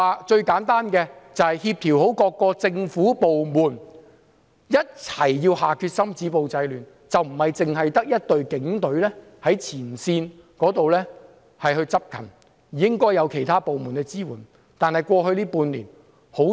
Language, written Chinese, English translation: Cantonese, 最簡單的例子是協調各政府部門一起下決心止暴制亂，不單只有警隊在前線執勤，亦應有其他部門支援。, The simplest example is to coordinate the determination of various government departments to achieve the result . Not only should the police force be on the front line other departments should support them as well